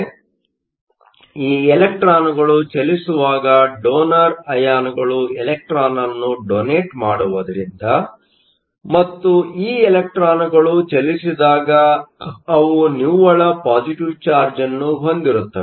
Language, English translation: Kannada, So, when these electrons move, you are left with donor ions, since donor ions donate an electron and when these electrons move, they have a net positive charge